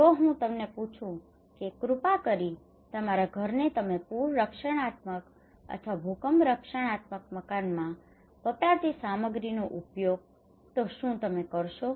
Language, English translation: Gujarati, If I ask you that please use flood protective building materials in your house or earthquake protective building materials in your house will you do it